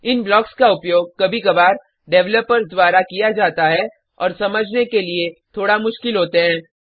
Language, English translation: Hindi, These blocks are used rarely by developers and are a bit difficult to understand